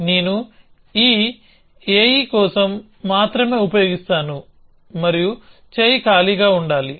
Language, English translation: Telugu, I will just use for this AE and arm must be empty